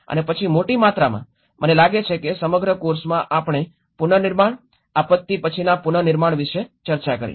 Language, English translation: Gujarati, And then in a large amount, I think in the whole course we discussed about the reconstruction, the post disaster reconstruction